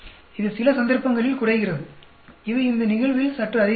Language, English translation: Tamil, It reduces in some cases; it increases slightly in this case